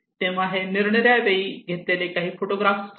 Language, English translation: Marathi, So this is some of the photographs during the survey